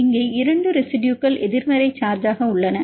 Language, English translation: Tamil, Here are these 2 residues are negative charge